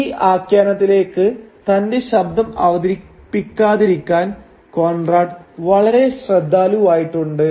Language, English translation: Malayalam, And Conrad is very careful not to introduce his authorial voice into this narrative